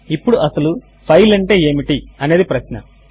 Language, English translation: Telugu, Now the question is what is a file